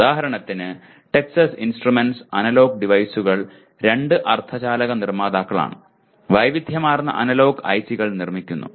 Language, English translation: Malayalam, Example Texas Instruments, Analog Devices are two semiconductor manufacturers making a wide variety of analog ICs